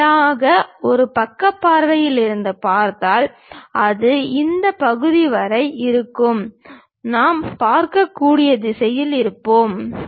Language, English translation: Tamil, If I am straight away looking from side view, it will be up to this portion we will be in a position to see